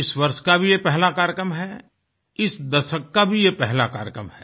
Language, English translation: Hindi, This is the first such programme of the year; nay, of the decade